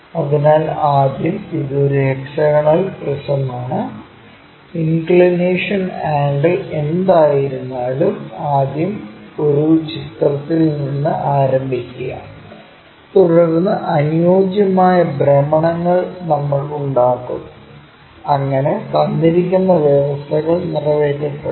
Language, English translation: Malayalam, So, first it is a hexagonal prism whatever might be the inclination angles, first begin with a picture, then suitable rotations we make it, so that the given conditions will be met